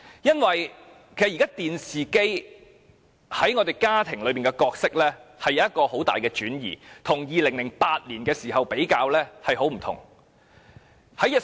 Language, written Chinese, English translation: Cantonese, 現時，電視機在家中的角色已出現很大的轉移，與2008年時大不相同。, The role of TVs in homes has now changed greatly which is very different from that in 2008